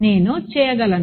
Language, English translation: Telugu, I can right